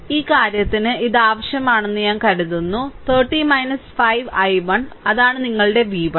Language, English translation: Malayalam, I think this is required for our this thing 30 minus 5 i 1 right, that is your that is your v 1